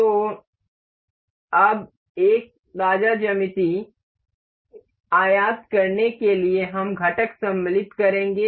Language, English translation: Hindi, So, now, to import a fresh geometry we will go to insert component